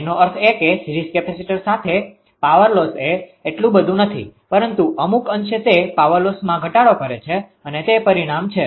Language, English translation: Gujarati, That means with series capacitor power loss actually it all though not much, but to some extent it actually power loss it reduces the power loss this results